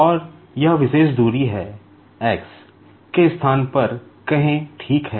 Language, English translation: Hindi, And, this particular distance is, say a in place of x, ok